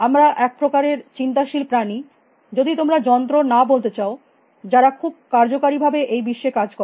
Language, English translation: Bengali, You know, we set of are thinking creatures if you do not want to call us machines, who operate very effectively in the world